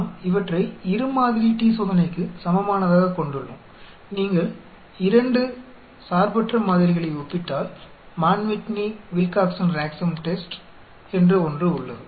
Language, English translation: Tamil, We have these on equivalent to a two sample t Test, if you are comparing 2 independent samples there is something called Mann Whitney/Wilcoxon Rank Sum Test